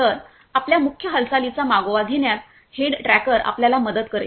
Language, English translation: Marathi, So, the head tracker will help you in tracking your head movement